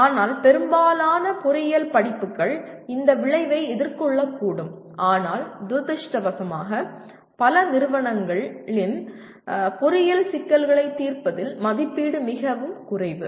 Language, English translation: Tamil, But majority of the engineering courses may address this outcome but unfortunately assessment in many institutions fall far short of solving engineering problems leave alone complex engineering problems